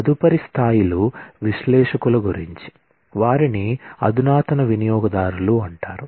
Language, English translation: Telugu, The next levels are the analysts, who are called the sophisticated users